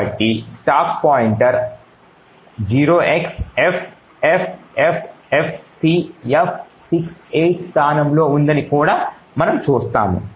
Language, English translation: Telugu, So, we also see that the stack pointer is at the location 0xffffcf68